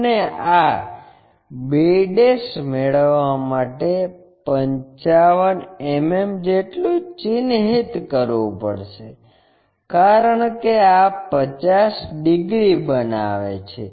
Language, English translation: Gujarati, And, it has to mark at 55 mm to get this b ', because this makes 50 degrees